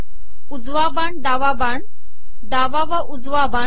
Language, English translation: Marathi, Right arrow, left arrow, left right arrow